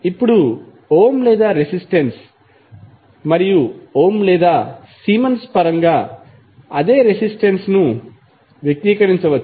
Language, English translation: Telugu, Now, same resistance can be expressed in terms of Ohm or resistance and Ohm or Siemens